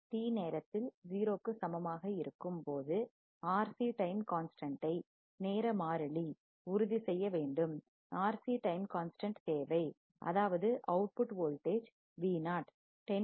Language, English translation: Tamil, At time t equals to 0 again, determine the R C time constant, R C time constant necessary such that output voltage Vo reaches to 10